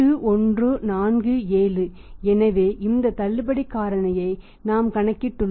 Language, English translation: Tamil, 8147 so this is the discount factor we have used here that is 0